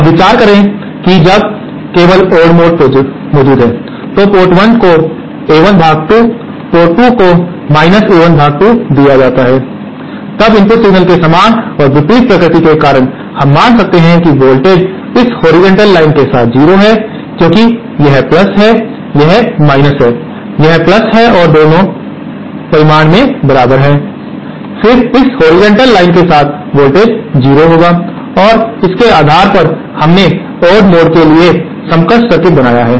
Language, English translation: Hindi, Now consider when only the odd mode is present, that is port 1 is fed by A1 upon 2 and port 2 is fed by A1 upon 2, then because of this equal and opposite nature of the input signals, we can assume that the voltage along this horizontal line is 0 because this is +, this is this is + and both are equal in magnitude, then the voltage along this horizontal line should be 0 and based on this we have drawn this equivalent circuit for the odd mode